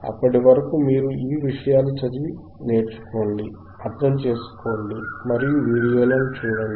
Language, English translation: Telugu, Till then you take care read thisese things, learn, understand and look at the videos,